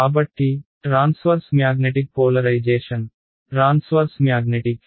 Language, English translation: Telugu, So, there is transverse magnetic polarization ok, transverse magnetic